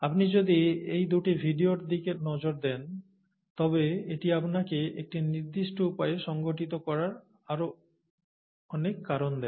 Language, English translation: Bengali, If you look at those two videos, it’ll give you more reasons for, organizing it a certain way, and so on